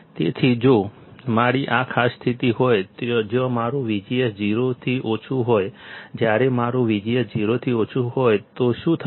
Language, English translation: Gujarati, So, if I have this particular condition where my V G S is less than 0, when my V G S is less than 0, what will happen